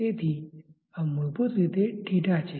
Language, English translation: Gujarati, So, this is basically the theta